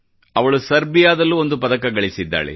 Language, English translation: Kannada, She has won a medal in Serbia too